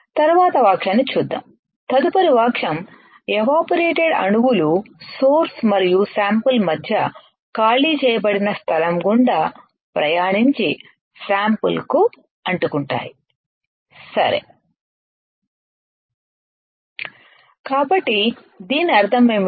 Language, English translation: Telugu, Let us see the next sentence next sentence is evaporated atoms travel through the evacuated space between the source and the sample and stick to the sample, right